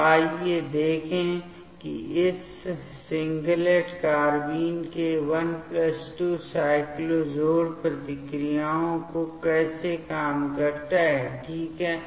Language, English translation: Hindi, So, let us see how does it work these 1+2 cyclo addition reactions of this singlet carbene ok